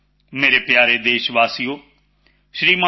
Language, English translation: Punjabi, My dear countrymen, Shri T